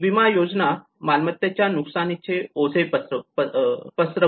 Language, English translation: Marathi, Insurance schemes spread the burden of property losses